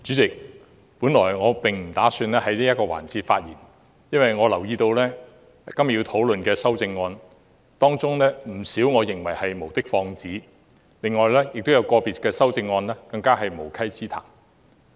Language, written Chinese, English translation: Cantonese, 主席，本來我並不打算在這個環節發言，但我留意到今天要討論的修正案中，有不少是無的放矢，亦有個別修正案更是無稽之談。, Chairman I did not intend to speak in this session originally but I noticed that many of the amendments being discussed today are pointless . Some of them are even ridiculous